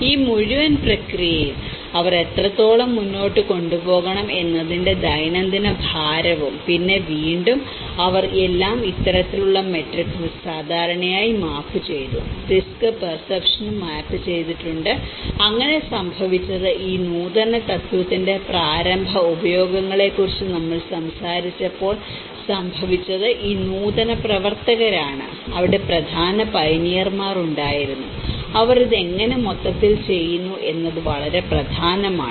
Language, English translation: Malayalam, And the daily fetching burden to what extent they have to carry on this whole process, and then again they mapped everything in this kind of matrix, the perception; the risk perception has been also have been mapped so, in that way what happened was this whole innovators as we talked about the very initial uses of that particular innovation, there one of the important pioneers and they are matters a lot that how this whole their understanding of the product